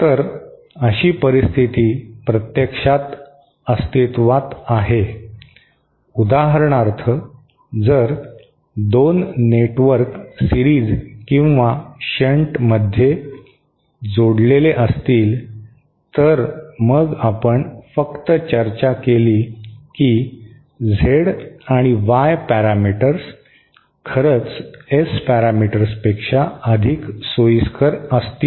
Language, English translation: Marathi, So, such a situation actually exists, for example, if 2 networks are connected in series or in shunt, then actually, we just discussed it that Z and Y parameters might actually be more convenient than S parameters